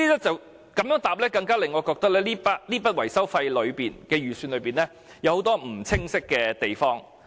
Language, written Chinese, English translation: Cantonese, 這樣的答覆更令我認為這筆預算的維修費中，有很多不清晰的地方。, Such a reply convinces me all the more that there are lots of unclear aspects in this sum of estimated maintenance cost